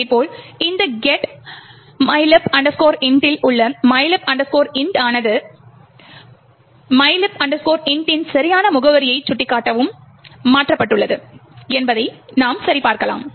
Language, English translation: Tamil, Similarly, you could also check that the mylib int in this get mylib int is also replaced to point to the correct address of mylib int